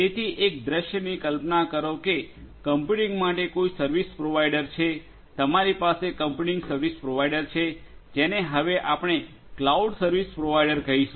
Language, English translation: Gujarati, So, instead imagine a scenario that there is a service provider for computing, you have a computing service provider which we call as the cloud service provider now